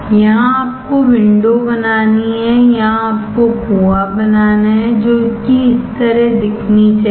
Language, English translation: Hindi, Here you have to create the window here you have to create the well which should look similar to this